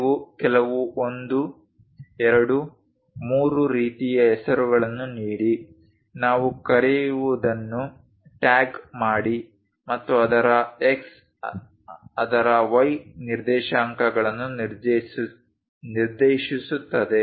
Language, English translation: Kannada, You just give the name 1, 2, 3 kind of names, tag what we call and its X coordinates its Y coordinates